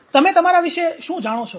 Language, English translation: Gujarati, What do you know about yourself